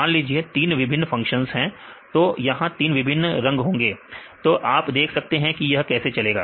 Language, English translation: Hindi, So, for example, you three different functions; so, three different colors here, so you can see how it goes